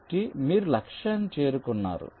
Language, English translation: Telugu, so you have reached the target